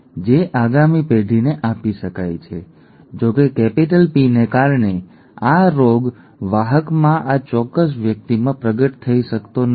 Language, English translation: Gujarati, The small P is still there, that can be passed on to the next generation although because of the capital P this disease may not manifest in this particular person in the carrier